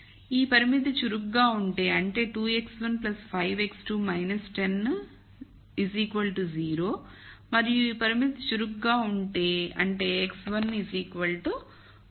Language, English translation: Telugu, If this constraint is active; that means, 2 x 1 plus 5 x 2 minus 10 equals 0 and if this constraint is active; that means, x 1 equals 1